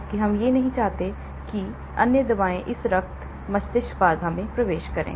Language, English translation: Hindi, whereas, we do not want other drugs to penetrate this blood brain barrier and disturb